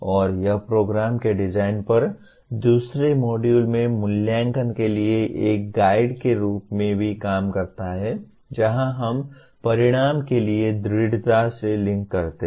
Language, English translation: Hindi, And it also acts as a guide for assessment in the second module on course design that is where we strongly link assessment to the outcome